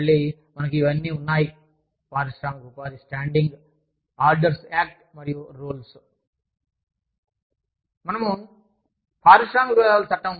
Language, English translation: Telugu, Again, we have these, Industrial Employment Standing Orders Act and the Rules